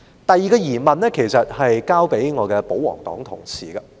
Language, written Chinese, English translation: Cantonese, 第二個疑問，是向我的保皇黨同事提出的。, The second query I raise is for my royalist colleagues